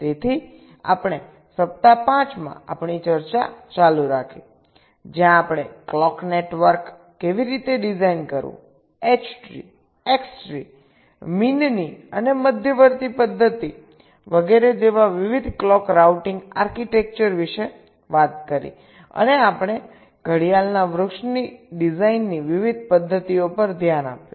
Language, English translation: Gujarati, so we continued our discussion in week five where we talked about how to design the clock networks, various clock routing architectures like h tree, x tree, method of means and medians, etcetera, and we looked at the various methods of clock tree design and the kind of hybrid approaches that are followed to minimize the clocks skew